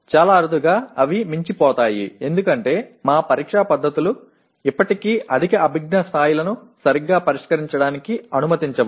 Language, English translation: Telugu, Very very rarely they will go beyond this because our examination methods still do not permit properly addressing the higher cognitive levels